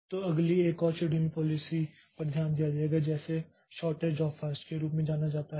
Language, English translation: Hindi, So, next we'll be looking into another scheduling policy which is known as the shortage job first